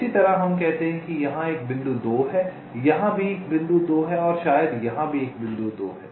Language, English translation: Hindi, similarly, lets say there is a point two here, there is a point two here may be there is a point two here